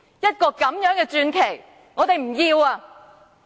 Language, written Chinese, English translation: Cantonese, 一個這樣的傳奇，我們不要！, Such a legend is not what we need!